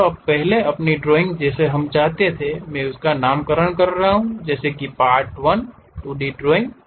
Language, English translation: Hindi, This is the first drawing what we would like to have I am just naming it like Part1 2D drawing